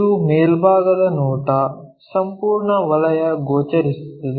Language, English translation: Kannada, This is the top view, complete circle visible